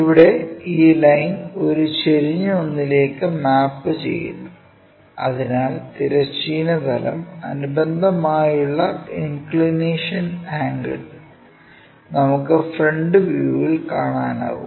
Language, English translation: Malayalam, So, if we are seeing here, this line this line maps to an inclined one, so that inclination angle with respect to horizontal plane we will be in a position to see in the front view